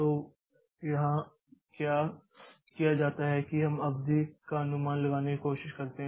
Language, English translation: Hindi, So, what is done here is that we try to estimate or predict the length, okay